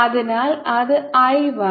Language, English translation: Malayalam, so that will be i one